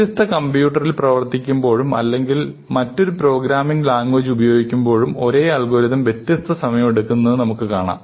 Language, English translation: Malayalam, We run it on a different computer or we use a different programming language, we might find, that the same algorithm takes different amount of time